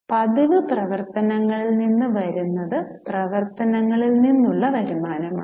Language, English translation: Malayalam, What is coming from regular operations is revenue from operations